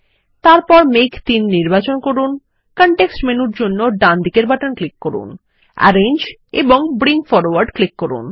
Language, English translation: Bengali, Then select cloud 3, right click for context menu, click Arrange and select Bring Forward